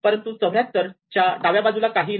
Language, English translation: Marathi, So, we go left, but there is nothing to the left 74